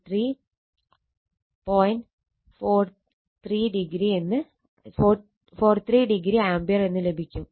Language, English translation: Malayalam, 43 degree ampere right